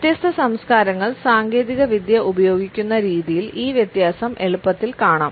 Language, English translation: Malayalam, And this difference is easily visible in the way technology is used by different cultures